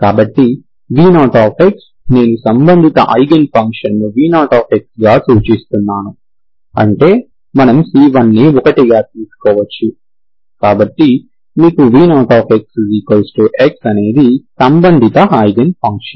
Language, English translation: Telugu, So v0 of x, corresponding eigen function i am denoting as v0 which is, we can take c1 as 1, so you have this is x, is corresponding eigen function